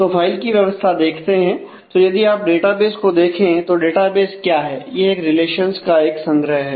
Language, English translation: Hindi, So, the file organization; so if you look at a database; what is the database